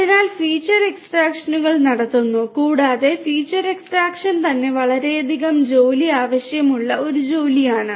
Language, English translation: Malayalam, So, the feature extractions are performed and feature extraction itself is a task that requires lot of work